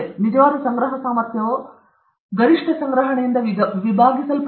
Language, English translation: Kannada, Actual collection efficiency divided by the maximum collection